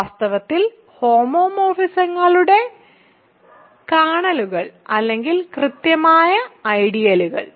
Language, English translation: Malayalam, In fact, kernels of homomorphisms or exactly the ideals